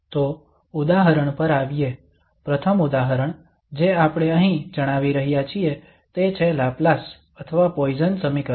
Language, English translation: Gujarati, So coming to the example, the first example we are stating here that is the Laplace or the Poisson equation